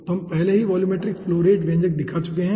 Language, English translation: Hindi, okay, so already we have shown the volumetric flow rate expression